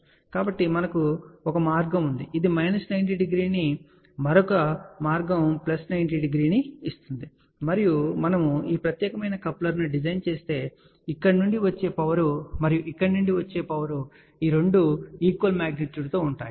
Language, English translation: Telugu, So, we have a one path which is giving minus 90 degree another path which is giving plus 90 degree, and if we design this particular coupler such a way that the power coming from here and power coming from here these two things are of equal magnitude